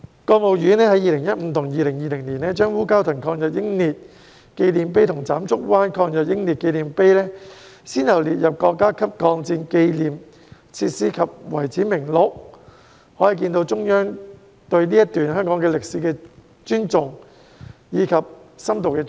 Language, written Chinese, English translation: Cantonese, 國務院在2015年和2020年，先後把烏蛟騰抗日英烈紀念碑和斬竹灣抗日英烈紀念碑列入國家級抗戰紀念設施、遺址名錄，可見中央對這段香港歷史的尊重和深度重視。, In 2015 and 2020 the State Council respectively incorporated the Memorial Monument for Wu Kau Tang Martyrs and the Memorial Monument for Sai Kung Martyrs in Tsam Chuk Wan into the List of State Facilities and Sites Marking the War of Resistance Against Japanese Aggression showing the Central Authorities respect for and deep appreciation of this episode in Hong Kong history